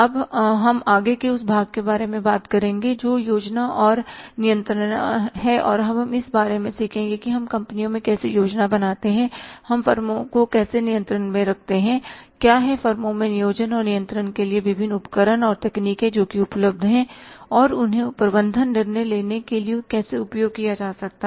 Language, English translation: Hindi, Now we will be further talking about the next part quickly that is the planning and controlling and we will be learning about that how we plan in the firms, how we control in the firms, what are the different tools and techniques are available for planning and controlling in the firms and how they can be made use of for the management decision making